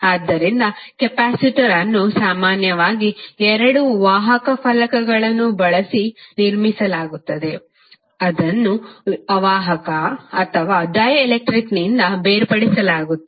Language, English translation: Kannada, So, capacitor is typically constructed using 2 conducting plates, separated by an insulator or dielectric